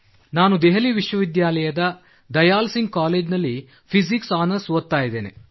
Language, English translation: Kannada, I am doing Physics Honours from Dayal Singh College, Delhi University